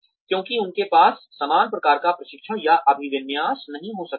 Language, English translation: Hindi, Because they may not have, similar kind of training or orientation